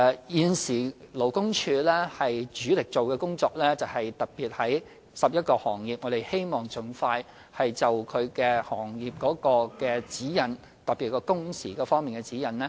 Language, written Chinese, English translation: Cantonese, 現時，勞工處的主力工作，是在11個行業盡快訂定行業指引，特別是工時方面的指引。, Currently the major task of LD is to expeditiously draw up sector - specific guidelines for 11 industries particularly guidelines on working hours